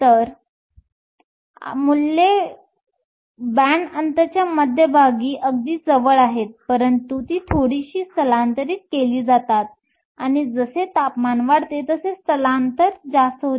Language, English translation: Marathi, So, the values are very close to the center of the band gap, but they are slightly shifted and the shift becomes higher, the higher the temperature